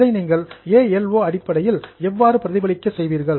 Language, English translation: Tamil, How will you reflect it in terms of ALO